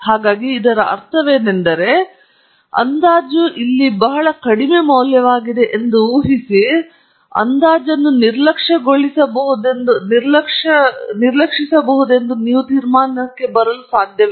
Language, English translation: Kannada, So, for what I mean by that is, suppose the estimate here was a very small value, you cannot come to the conclusion that the estimate can be neglected